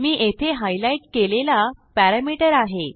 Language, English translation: Marathi, What I have highlighted here is our parameter